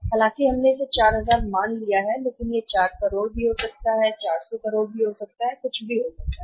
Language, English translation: Hindi, Though we have assume it as 4000 it can be 4 crore or say 400 crore anything